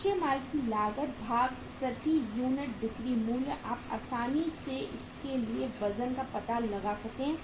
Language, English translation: Hindi, Cost of raw material divided by the selling price per unit so you can easily find out the weight for this